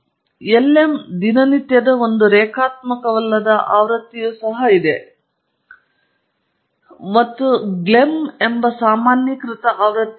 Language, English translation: Kannada, There is also a non linear version of the lm routine and there is a generalized version called glm